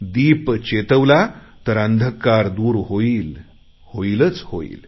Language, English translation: Marathi, If we light a lamp, the darkness is sure to be dispelled